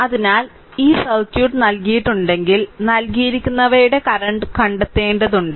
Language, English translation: Malayalam, So, if this circuit is given right you have to find out the currents of these whatever is given right